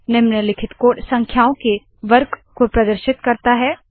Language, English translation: Hindi, The following code displays the square of the numbers